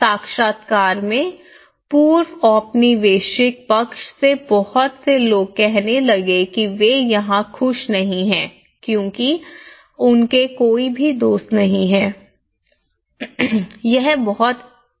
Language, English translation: Hindi, In the interviews, many of the people even from the pre colonial side they started saying we are not happy here because none much of my friends they are left and we are not, itÃs very boring here